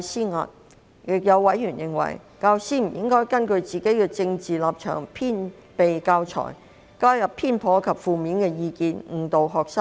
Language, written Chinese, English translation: Cantonese, 此外，亦有委員認為，教師不應根據自己的政治立場製備教材，加入偏頗及負面的意見，誤導學生。, Some other members opined that teachers should not prepare teaching materials based on their political stance and with biased and negative views to mislead students